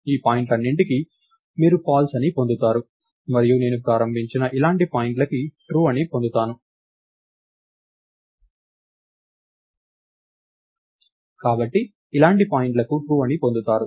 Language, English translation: Telugu, For all these points, you would get false and points like this I have started with, right, so point like this and so on will get true